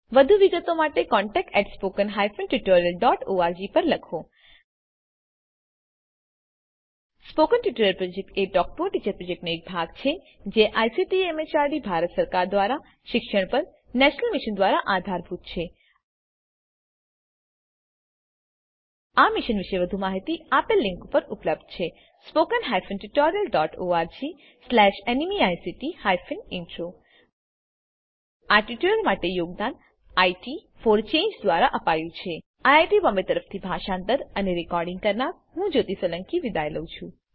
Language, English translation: Gujarati, For more details please write to contact@spoken tutorial.org Spoken Tutorial Project is a part of the Talk to a Teacher Project Supported by the National Mission on education through ICT, MHRD, Government of India More information on this mission is available at spoken tutorial.org/NMEICT Intro This tutorial has been contributed by IT for Change Thank you for joining us.